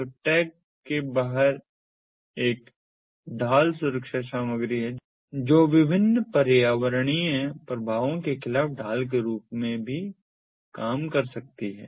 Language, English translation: Hindi, so outside the tag is some kind of a shielda protective material which can also act as a shield against various environmental effects